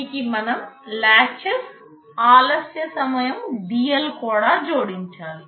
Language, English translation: Telugu, And to it we have to also add the latch delay dL